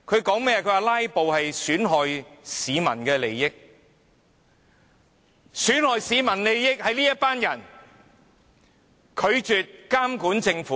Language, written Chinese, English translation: Cantonese, 他們說"拉布"損害市民利益，但損害市民利益的正是這些拒絕監管政府的人。, They claimed that filibustering will bring harm to public interests but it is exactly these Members who have refused to monitor the performance of the Government that have put public interests at stake